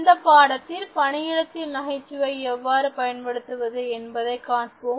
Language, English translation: Tamil, In this lesson, let us look at humour in workplace